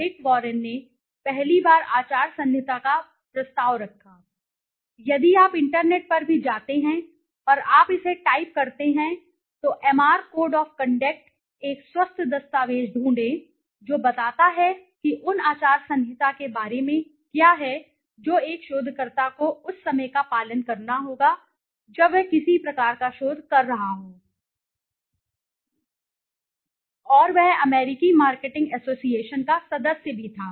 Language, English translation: Hindi, Louis first time proposed a code of ethics, if you go to the internet also and you type it out, MRA code of conduct you will find a healthy document which cites which tells you about what are the code of conducts that a researcher needs to follow when he is doing some kind of a research, and he was also a member of the American marketing association